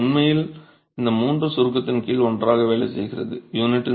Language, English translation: Tamil, So, it's really these three working together under compression, right